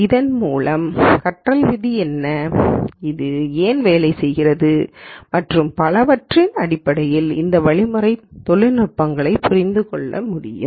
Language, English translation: Tamil, And also would understand the technical details of these algorithms in terms of what is the learning rule and why does it work and so on